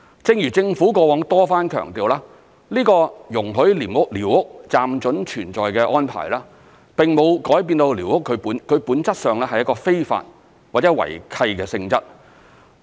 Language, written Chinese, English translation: Cantonese, 正如政府過往多番強調，這個容許寮屋"暫准存在"的安排，並沒有改變寮屋本質上是一個非法或違契的性質。, As repeatedly stressed by the Government in the past such tolerance does not change the illegal nature of squatter structures or the fact that they have violated the lease conditions